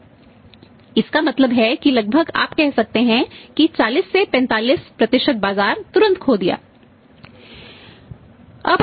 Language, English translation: Hindi, So, it means almost you can say that 40 to 45 % market they immediately lost